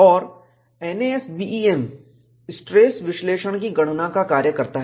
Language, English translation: Hindi, And, NASBEM performs stress analysis calculations